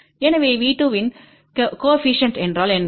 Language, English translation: Tamil, So, what is coefficient of V 2